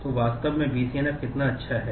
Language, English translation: Hindi, So, how good really BCNF is